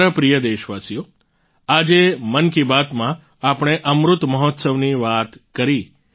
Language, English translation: Gujarati, today in 'Mann Ki Baat' we talked about Amrit Mahotsav